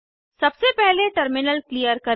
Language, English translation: Hindi, Let us first clear the terminal